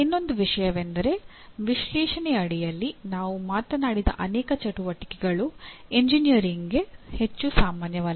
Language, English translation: Kannada, The other issue is many of the activities that we talked about under analyze are not very common to engineering